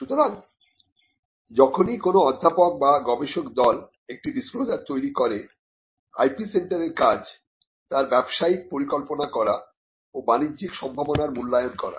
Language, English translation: Bengali, So, whenever a professor or a research team makes a disclosure it is the job of the IP centre to make a business plan and to evaluate the commercial potential